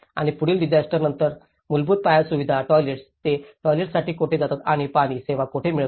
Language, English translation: Marathi, And after the following disaster, the basic infrastructure, the toilets, where do they go for the toilets, where do they get the water services